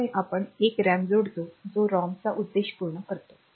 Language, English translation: Marathi, So, we put a RAM that also serves the purpose of the ROM